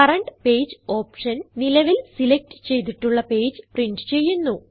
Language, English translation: Malayalam, Current page option prints only the current selected page